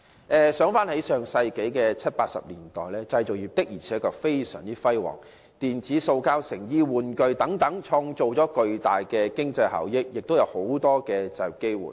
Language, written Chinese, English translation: Cantonese, 回顧上世紀七八十年代，製造業確實非常輝煌，無論是電子、塑膠、成衣、玩具等，均創造了巨大的經濟效益，亦造就了大量就業機會。, Our manufacturing industry flourished back in the 1970s and 1980s . Our production of electronics plastics garment and toys had generated tremendous economic benefits and an abundance of employment opportunities